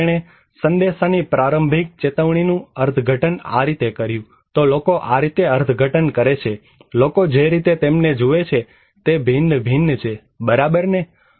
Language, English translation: Gujarati, So, he interpreted the message of early warning this way, so that way people interpret, way people perceive them is varies, right